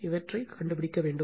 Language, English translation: Tamil, This is the thing you have to find it